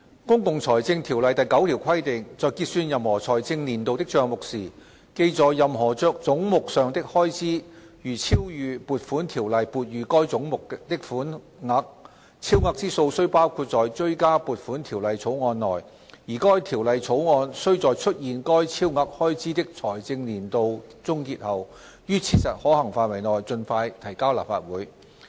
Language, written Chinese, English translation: Cantonese, 《公共財政條例》第9條規定："在結算任何財政年度的帳目時，記在任何總目上的開支如超逾撥款條例撥予該總目的款額，超額之數須包括在追加撥款條例草案內，而該條例草案須在出現該超額開支的財政年度終結後，於切實可行範圍內盡快提交立法會。, Section 9 of the Public Finance Ordinance provides that [i]f at the close of account for any financial year it is found that expenditure charged to any head is in excess of the sum appropriated for that head by an Appropriation Ordinance the excess shall be included in a Supplementary Appropriation Bill which shall be introduced into the Legislative Council as soon as practicable after the close of the financial year to which the excess expenditure relates . The 2016 - 2017 financial year has ended